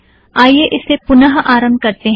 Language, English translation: Hindi, Lets do a reset here